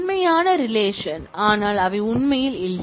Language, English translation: Tamil, Actual relation, but they do not really exist